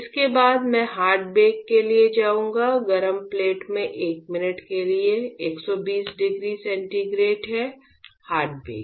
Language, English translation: Hindi, After this I will go for hard bake; hard bake is 120 degree centigrade for 1 minute on hot plate